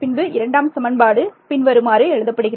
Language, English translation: Tamil, No I have just rewritten this first equation